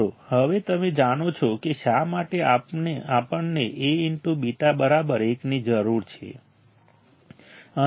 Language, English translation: Gujarati, Guys you know now know why we require A beta equals to 1